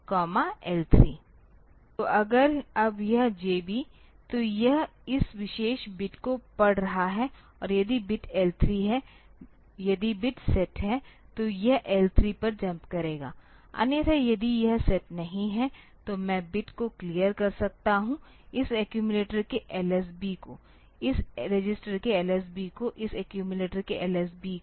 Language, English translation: Hindi, So, if that now this JB, so this will be reading this particular bit and if the bit is L 3 if the bit is set then it will be jumping to L 3, otherwise if it is not set then I can clear the bit the LSB of this accumulator, this LSB of this register LSB of this accumulator